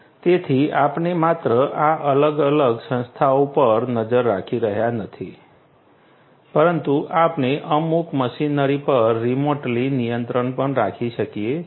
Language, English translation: Gujarati, So, we are not only monitoring these different entities, but also we can have control over certain machinery, remotely